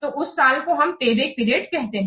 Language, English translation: Hindi, So that is the payback period